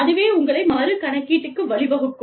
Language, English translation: Tamil, So, that can result in, your recalculation